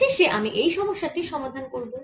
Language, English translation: Bengali, finally, i am going to do this problem